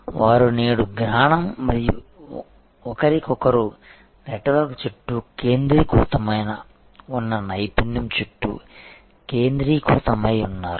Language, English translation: Telugu, But, they are today centered around expertise centered around knowledge and the network with each other